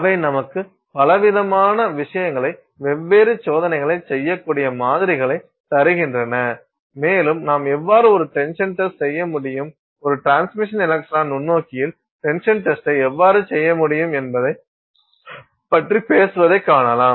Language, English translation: Tamil, They give you samples with which you can do a variety of different things, different tests and you can we saw spoke about how you could do a tensile test, how you could do the tensile test in a transmission electron microscope, the kinds of challenges that are involved in it and so on